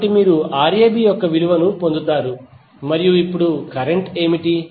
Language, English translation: Telugu, So you will simply get the value of Rab and now what would be the current